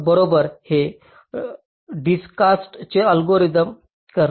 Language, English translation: Marathi, right, and this is what dijkstas algorithm does